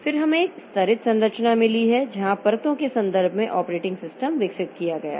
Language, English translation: Hindi, Then we have got a layered structure also where operating system is developed in terms of layers